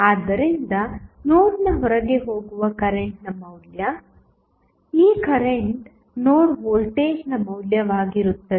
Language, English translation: Kannada, So, the value of current going outside the node, this current would be the value of node voltage